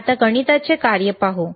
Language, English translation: Marathi, Now let us see the math function